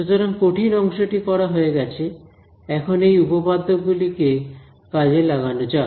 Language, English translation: Bengali, So, the hard part is done; now let us make use of these theorems ok